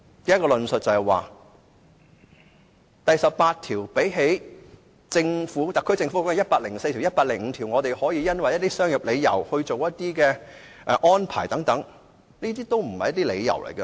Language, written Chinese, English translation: Cantonese, 根據同一個道理，即第十八條與跟特區政府有關的第一百零四條或第一百零五條比較，因商業理由作出安排等，這些都不是理由。, By the same token compared to Articles 104 and 105 which are related to the SAR Government Article 18 or arrangements made for commercial purposes are actually not justifications